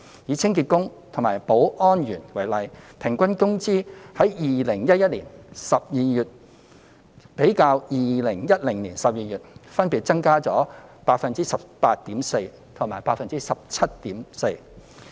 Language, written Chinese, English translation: Cantonese, 以清潔工及保安員為例 ，2011 年12月的平均工資較2010年12月的水平分別增加了 18.4% 及 17.4%。, Take cleaning workers and security guards as examples . The average wages of these two categories of workers in December 2011 recorded an increase of 18.4 % and 17.4 % respectively as compared with those in December 2010